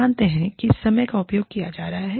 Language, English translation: Hindi, So, you know, the time is being used up